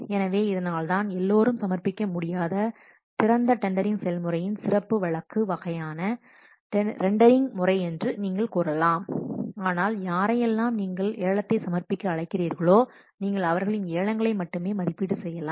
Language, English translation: Tamil, So, that's why this is a you can say that special case of open tending process where everybody cannot submit but to whom you have invited to submit the bid they can only submit and you can evaluate their Bids